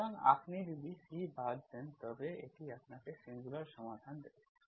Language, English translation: Bengali, So look at these 2 equations, eliminate C will give you the singular solutions, okay